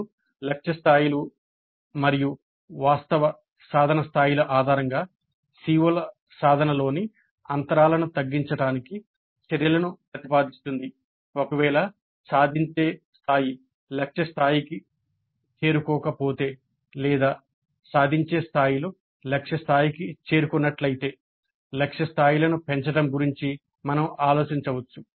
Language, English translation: Telugu, Then based on the target levels and the actual attainment levels proposing actions to the bridge the gaps in the CO attainments in case the attainment level has not reached the target levels or if the attainment levels have reached the target levels we could think of enhancing the target levels